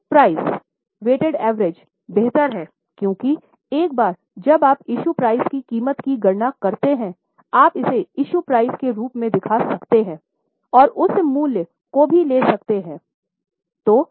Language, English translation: Hindi, Issue price, weighted average is better because once you calculate the issue price you can show it as an issue price and you can also take that value